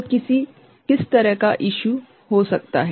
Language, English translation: Hindi, So, what kind of issue could be there